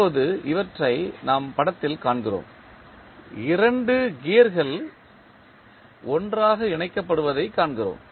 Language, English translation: Tamil, Now, we see these in the figure, we see 2 gears are coupled together